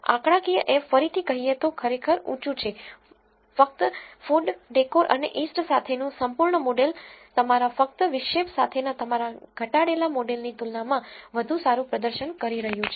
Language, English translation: Gujarati, The f statistic again is really really high telling you that full model with food, decor and east is performing better compared to your reduced model with only the intercept